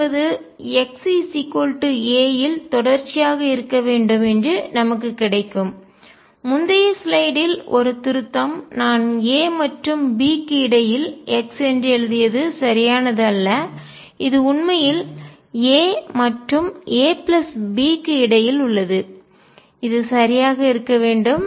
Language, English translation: Tamil, We get that psi at x equals a should be continuous, just a correction on previous slide I had written psi x between a and b that was not correct, it is actually psi between a and a plus b this should be correct